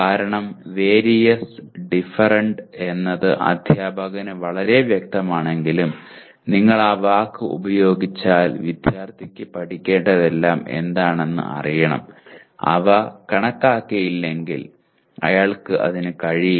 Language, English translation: Malayalam, Because while “different” and “various” are very clear to the teacher if you use that word the student who is supposed to know what are all the things that he needs to learn unless they are enumerated he will not be able to